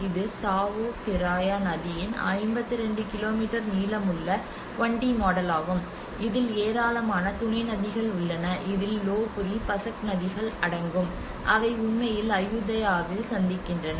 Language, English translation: Tamil, Like it is about a 1D model this is a 1D model of 52 kilometer stretch of Chao Phraya river and which has a number of tributaries that include Lopburi, Pasak rivers which actually meet at Ayutthaya